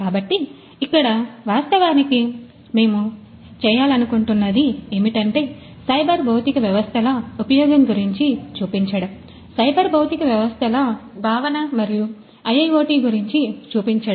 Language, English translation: Telugu, So, here actually what we intend to do is to show you the use of cyber physical systems, the concept of cyber physical systems and IIoT over here